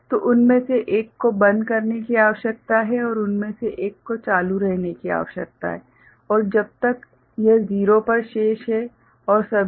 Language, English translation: Hindi, So, one of them need to OFF and one of them need to be ON and as long as this is remaining at 0 and all